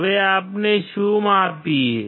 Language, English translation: Gujarati, Now what do we measure